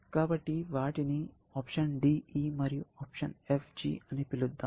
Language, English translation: Telugu, So, let us call them DE option and FG option